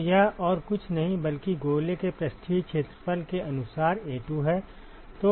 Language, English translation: Hindi, So, that is nothing, but A2 by the surface area of the sphere